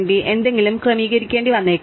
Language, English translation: Malayalam, You might have to setup something, right